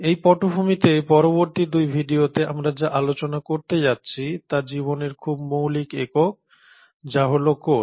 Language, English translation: Bengali, So with that background in the next 2 videos what we are going to talk about, are the very fundamental unit of life which is the cell